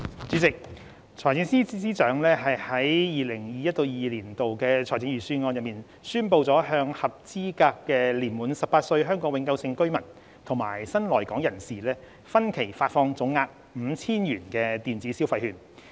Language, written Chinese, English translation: Cantonese, 主席，財政司司長在 2021-2022 年度財政預算案宣布向合資格的年滿18歲香港永久性居民及新來港人士分期發放總額 5,000 元的電子消費券。, President the Financial Secretary has announced in the 2021 - 2022 Budget that electronic consumption vouchers with a total value of 5,000 will be disbursed by instalments to eligible Hong Kong permanent residents and new arrivals aged 18 or above